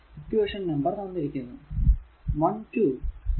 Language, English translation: Malayalam, Equation numbers are all given 1 2 , right